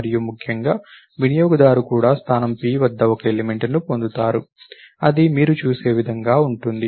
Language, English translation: Telugu, And essentially, the user also get me an element at position p, that is the way you will look at it